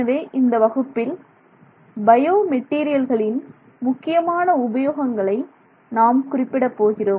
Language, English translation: Tamil, So, in our case in this particular class we will focus on potential use in biomaterials